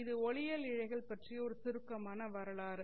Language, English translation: Tamil, It was a nice case of optical fibers